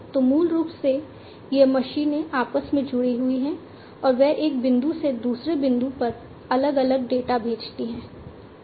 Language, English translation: Hindi, So, basically these machines are also interconnected, and they send different data from one point to another